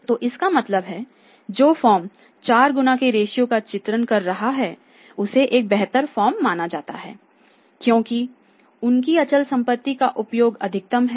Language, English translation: Hindi, So, it means that means the firm which is repeating the ratio 4 times I think that is considered as a better firm because their use of the fixed asset is maximum